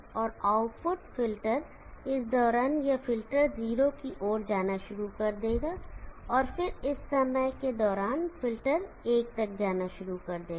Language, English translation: Hindi, And the output the filter during this time this filter will start going toward 0, and then during this time the filter will start going up t o 1